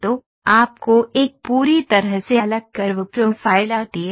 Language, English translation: Hindi, So, you see a completely different curve profile coming